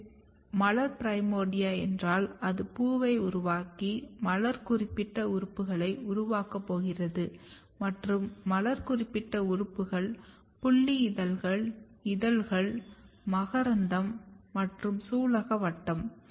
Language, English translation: Tamil, If it is floral primordia it is going to make flower if it is going to make flower it has to develop flower specific organs and flower specific organs are basically sepal, petals, stamen and carpals